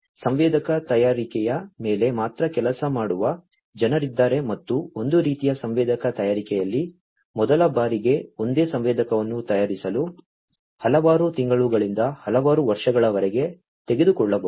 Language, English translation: Kannada, There are people who basically work solely on sensor fabrication and for one type of sensor fabrication it may take you know several months to several years for fabricating a single sensor for the first time